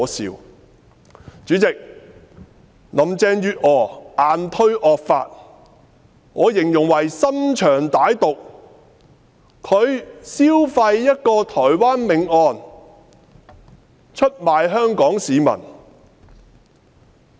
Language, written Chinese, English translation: Cantonese, 代理主席，林鄭月娥硬推惡法，我形容為心腸歹毒，她消費一宗台灣命案，出賣香港市民。, Deputy President Carrie LAM bulldozes through the draconian law and I will say she has a vicious heart . She capitalizes on the Taiwan homicide case to betray the people of Hong Kong